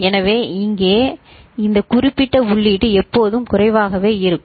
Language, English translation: Tamil, So, this particular input over here will always be low ok